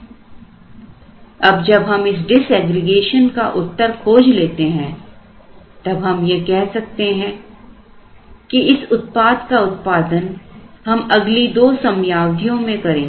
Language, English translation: Hindi, Now, after we answer this disaggregation, then we need here at this point we are going to say that well this product is going to be made in next two periods